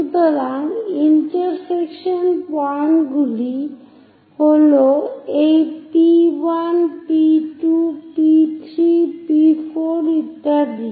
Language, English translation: Bengali, So, the intersection points are at this P1, P2, P3, P4, and so on